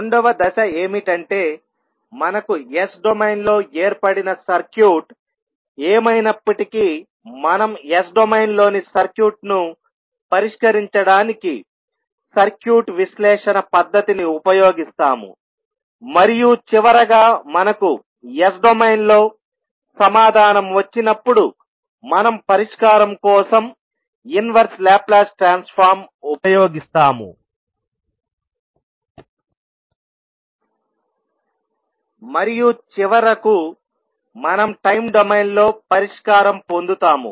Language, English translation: Telugu, So, the second step will be that whatever the circuit we have formed in s domain we will utilize the circuit analysis technique to solve the circuit in s domain and finally, when we get the answer in s domain we will use inverse Laplace transform for the solution and finally we will obtain the solution in in time domain